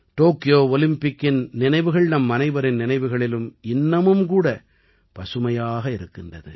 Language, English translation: Tamil, The memories of the Tokyo Olympics are still fresh in our minds